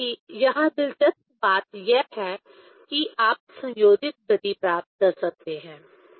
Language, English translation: Hindi, Anyway, here interesting things is that you can get couple motion